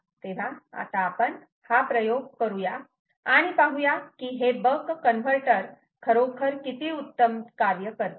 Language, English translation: Marathi, so now lets do this experiment and see a how nicely this ah buck converter is actually working